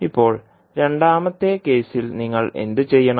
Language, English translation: Malayalam, Now, in the second case what you have to do